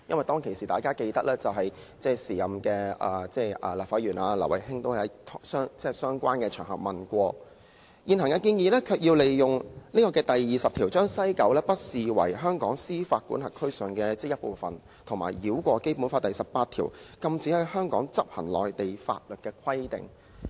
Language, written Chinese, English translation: Cantonese, 大家也記得，當時前立法會議員劉慧卿亦曾在相關場合提出有關問題，但現行建議卻要利用《基本法》第二十條，把西九不視為香港司法管轄區的一部分，以及繞過《基本法》第十八條，禁止在香港執行內地法律的規定。, We may also recall that Ms Emily LAU a Legislative Council Member at that time also raised some related questions on various occasions . However in the present proposal through invoking Article 20 of the Basic Law West Kowloon Station will not be regarded as part of the Hong Kong jurisdiction and Article 18 of the Basic Law which forbids the application of Mainland laws in Hong Kong will also be circumvented